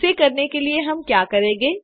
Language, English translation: Hindi, How do we go about doing it